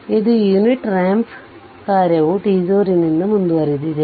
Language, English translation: Kannada, So, this is your unit ramp function delayed by t 0